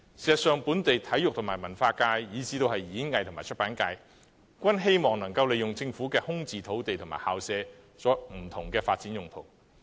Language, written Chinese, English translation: Cantonese, 事實上，本地體育和文化界以至演藝和出版界，均希望利用空置政府土地和校舍作不同發展用途。, In fact the local sports cultural performing arts and publication sectors all wish to use vacant government sites and school premises for different development purposes